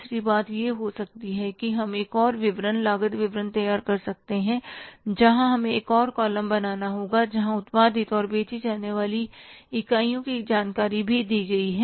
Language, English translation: Hindi, Third thing can be that we can prepare one more statement, cost statement where we will have to make one more column where the information about the units produced and sold is also given